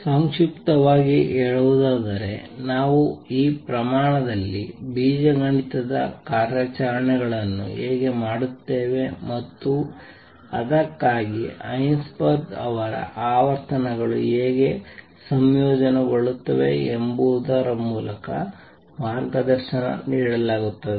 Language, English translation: Kannada, In short how do we perform algebraic operations on these quantities and for that Heisenberg was guided by how frequencies combine